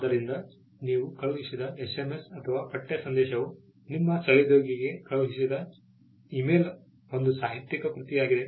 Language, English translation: Kannada, So, an SMS or a text message that you sent is potentially a literary work an email you sent to your colleague is a literary work